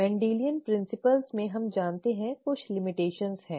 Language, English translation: Hindi, The Mendelian principles as we know have limitations